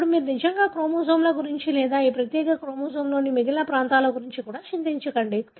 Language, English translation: Telugu, Now, you do not really worry about the rest of the chromosomes or even the rest of the regions of this particular chromosome